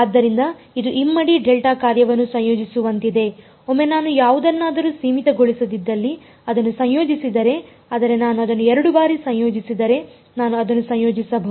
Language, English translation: Kannada, So, it is like integrating a double delta function, I can integrate it once I mean like if I integrate it once I do not get anything finite, but if I integrate it twice